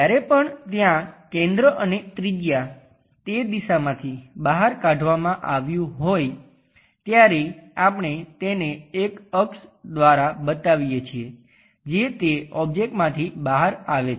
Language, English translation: Gujarati, Whenever there is center and a radius scooped out from that direction we show it by an axis which comes out of that object also